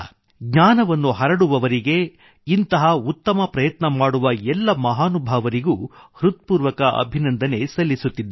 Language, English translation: Kannada, Those who spread knowledge, who take such noble initiatives, I commend all such great people from the core of my heart